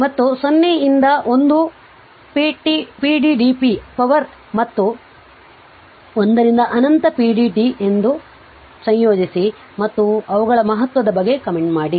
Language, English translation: Kannada, And evaluate the integrals 0 to 1 p dt p is power and 1 to infinity p dt and comment on their your significance right